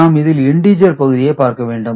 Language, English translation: Tamil, So, we do it by let us first look at the integer parts